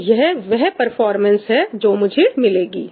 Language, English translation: Hindi, So, that is the performance I am getting